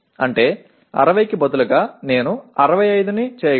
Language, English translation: Telugu, That means instead of 60 I can make it 65